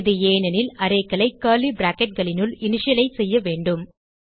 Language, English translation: Tamil, This is because arrays must be initialized within curly brackets